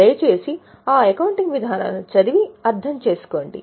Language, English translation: Telugu, Please go through those accounting policies